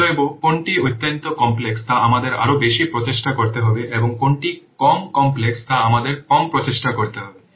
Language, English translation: Bengali, So which one is highly complex, we have to put more effort and which one is less complex, we have to put less effort